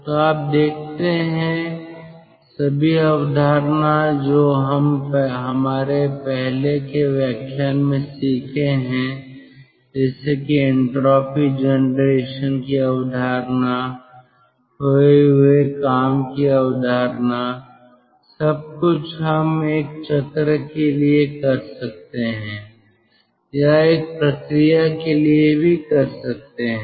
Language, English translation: Hindi, so you see all the concept which we have learned in our earlier lecture, the concept of entropy generation, concept of lost work, everything we can do it for a cycle or even for a process